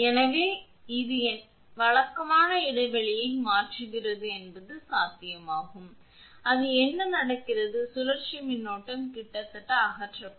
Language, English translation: Tamil, So, this kind of your what regular interval this is changing is possible then what will happen circulating current will almost be many eliminated